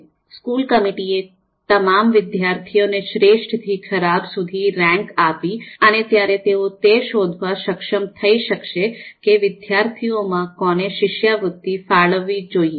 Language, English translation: Gujarati, So we need to rank, the school committee need to rank all students from best to worst, only then they would be able to find out who are the meritorious students whom the scholarship needs to be allocated